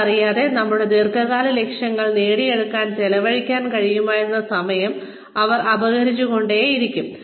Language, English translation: Malayalam, Not realizing that, they would take up, so much of our time, that the time, we could have spent on achieving our long term goals, is being taken away